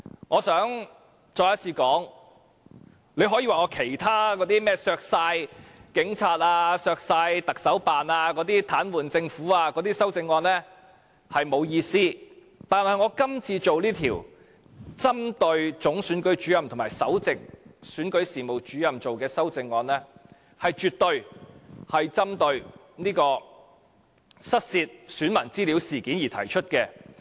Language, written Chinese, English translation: Cantonese, 我想再次說，你可以說我其他修正案，例如削減警察、特首辦開支、癱瘓政府的修正案沒有意思，但我這項針對總選舉事務主任和首席選舉事務主任的修正案，是絕對針對失竊選民資料事件而提出的。, Once again I wish to say that Members can say that my other amendments are meaningless such as the ones on cutting the expenditures of the Police Force and the Office of the Chief Executive and those seeking to immobilize the Government . But this amendment of mine is targeted at the Chief Electoral Officer and Principal Electoral Officer